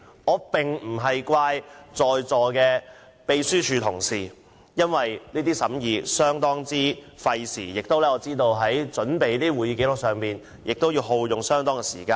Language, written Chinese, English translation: Cantonese, 我並非責怪在座的秘書處同事，因我知道審議工作相當費時，我也明白準備會議紀要亦需耗用很多時間。, I would like to declare that I am not blaming the Secretariat staff because I know that the deliberation is very time - consuming and I also understand that it takes a lot of time to prepare the minutes